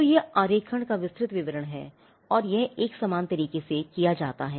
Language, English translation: Hindi, So, this is the detailed description of the drawings and it is done in a similar manner, similar fashion